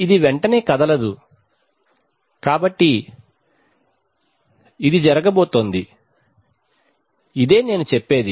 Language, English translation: Telugu, It will not move away right, so this is what is going to happen, this is what I mean